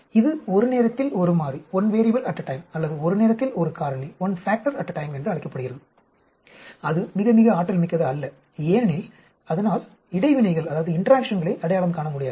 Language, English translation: Tamil, That is called one variable at a time or one factor at a time and that is not very, very efficient because it will not be able to identify interactions